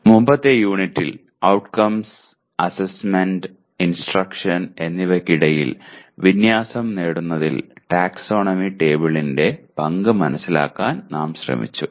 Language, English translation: Malayalam, In the earlier unit we tried to understand the role of taxonomy table in attainment of alignment among Outcomes, Assessment, and Instruction